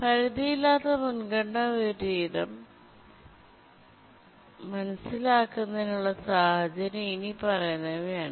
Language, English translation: Malayalam, To understand unbounded priority inversion, let's consider the following situation